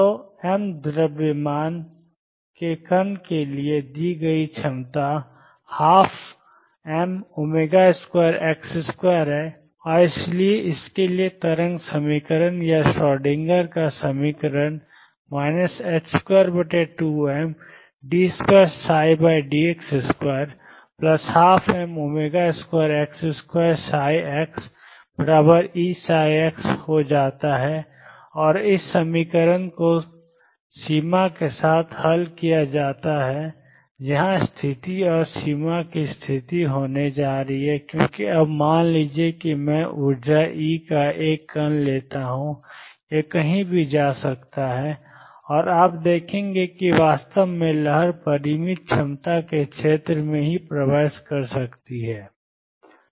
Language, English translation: Hindi, So, the potential that is given for the particle of mass m is one half m omega square x square and therefore, the wave equation or the Schrodinger’s equation for this becomes minus h cross square over 2 m d 2 psi over d x square plus 1 half m omega square x square psi x equals E psi x and this equation is to be solved with the boundary condition and boundary condition here is going to be because now suppose I take a particle of energy E; it can go anywhere and you will see actually wave can also penetrate through the region of finite potentials